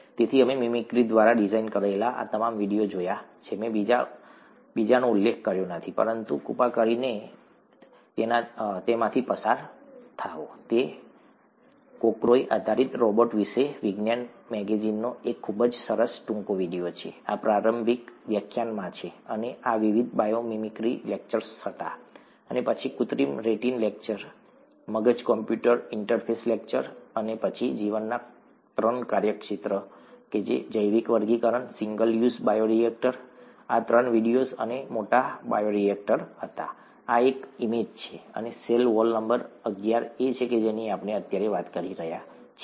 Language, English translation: Gujarati, So we have seen all these videos designed through mimicry; I did not mention the second one, but please go through it, it’s a very nice short video from the science magazine about a cockroach based robot, this is in the introductory lecture, and these were the various biomimicry lectures and then the artificial retina lecture, brain computer interface lecture, and then the three domains of life, biological classification, single use bioreactor; these three were videos and the large bioreactor, this is an image, and the cell wall number eleven is what we are talking about right now